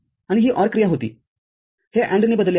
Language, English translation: Marathi, And this was the OR operation this is replaced with AND